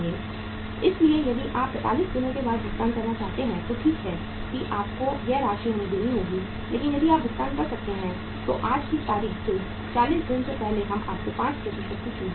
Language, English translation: Hindi, So if you are want to make the payment after 45 days okay we will you will have to pay this much amount to us but if you can make the payment today that is 40 days prior to the due date we will give you 5% discount